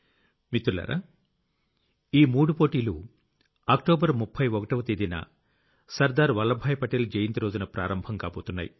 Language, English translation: Telugu, these three competitions are going to commence on the birth anniversary of Sardar Sahib from 31st October